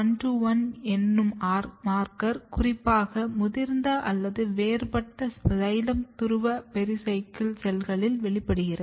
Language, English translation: Tamil, So, this is J0121 is a marker which very specifically express in mature or differentiated pericycle cells xylem pole pericycle cells